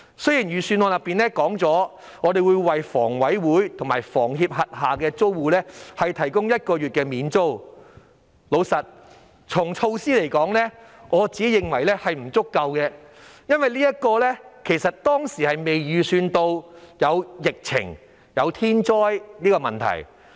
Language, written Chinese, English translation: Cantonese, 雖然預算案提到會為房委會及香港房屋協會轄下租戶提供1個月免租，坦白說，我認為這種措施並不足夠，因為當時並未預計會有疫情和天災的問題。, Although the Budget proposes to pay one months rent for tenants living in public rental units of the Hong Kong Housing Authority and the Hong Kong Housing Society frankly speaking I think this measure is not enough because the epidemic and natural disaster were not expected at the time the Budget was drafted